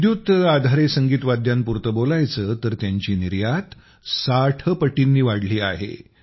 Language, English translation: Marathi, Talking about Electrical Musical Instruments; their export has increased 60 times